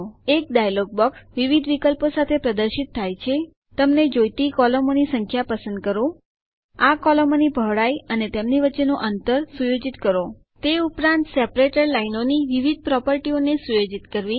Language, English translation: Gujarati, A dialog box appears with various options selecting the number of columns you want, setting the width and spacing of these columns as well as setting the various properties of the separator lines